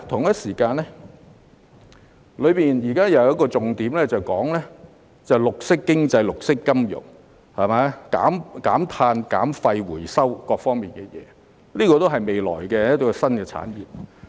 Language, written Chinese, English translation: Cantonese, 預算案中有重點提到綠色經濟、綠色金融、減碳、減廢和回收各方面等事宜，這些都是未來的新產業。, The Budget has highlighted green economy green finance carbon reduction waste reduction and recycling and all of them are new industries to be developed in the future